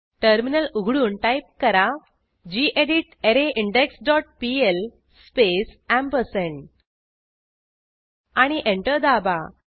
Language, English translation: Marathi, Open the terminal and type gedit arrayIndex dot pl space ampersand and press Enter